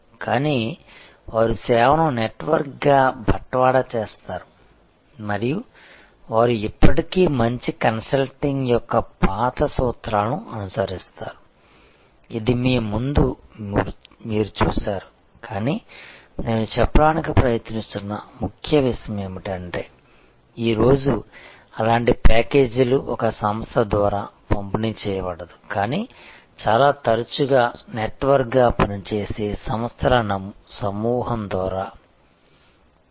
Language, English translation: Telugu, And but, they will deliver the service as a network and they will follow still the old principles of good consulting, which you saw in see in front of you, but the key point I am trying to make is that today such packages of values are not delivered by one organization, but very often by a group of organizations working as a network